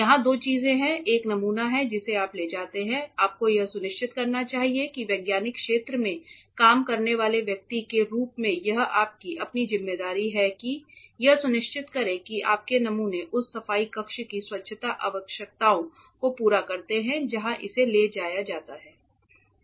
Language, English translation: Hindi, Here two things are there one is samples that you carry you should make sure it is your own responsibility as a person who is working in the scientific field to ensure that your samples meet the cleanliness requirements of the cleanroom to which it is taken